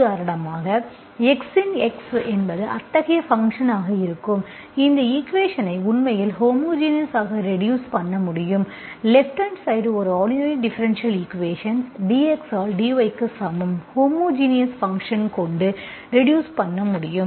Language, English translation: Tamil, So for example, those functions where f of x is such a function, we can actually reduce this equation to homogeneous, an ordinary differential equation with the right hand side, dy by dx equals to, with a homogeneous function, you can reduce this into an homogeneous equation, okay